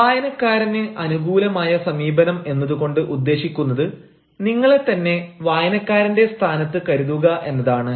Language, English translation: Malayalam, i mean the reader friendly approach, the by reader friendly approach, we mean keeping yourself in the position of the reader